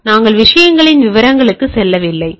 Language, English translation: Tamil, So, we are not going to the details of the things